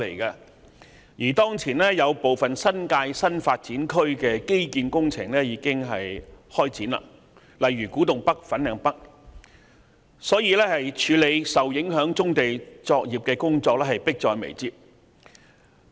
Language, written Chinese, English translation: Cantonese, 此外，當前有部分新界新發展區的基建工程已經展開，例如古洞北、粉嶺北的工程，處理受影響棕地作業的工作因而迫在眉睫。, Furthermore as the infrastructure projects for some NDAs in the New Territories such as those for Kwu Tung North and Fanling North have already commenced there is an imminent need to work out the arrangements for the affected brownfield operations